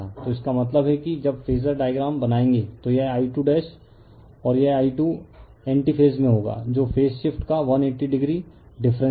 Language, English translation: Hindi, So that means, I when you will draw the phasor diagram then this I 2 dash and this I 2 will be in anti phase that is 180 degree difference of phaseshift